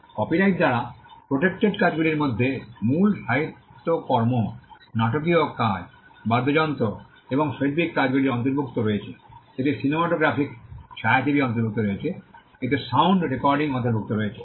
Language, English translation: Bengali, Works protected by copyright include original literary works, dramatic works, musical works and artistic works, it includes cinematograph films, it includes sound recordings